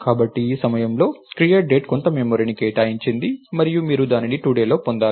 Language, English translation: Telugu, So, at this point create date allocated some memory and you got that in today